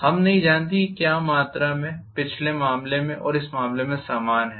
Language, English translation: Hindi, We do not know whether the quantity is the same in the previous case and this case